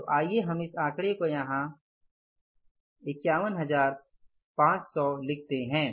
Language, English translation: Hindi, So, let us put this figure here